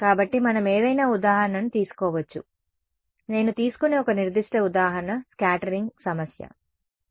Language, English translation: Telugu, So, we can take any example a particular example that I will take is that of a scattering problem ok